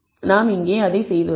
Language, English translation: Tamil, We have done that